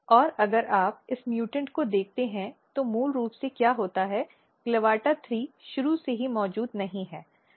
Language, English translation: Hindi, And if you look this mutant in mutant basically what happens CLAVATA3 is not present even from the start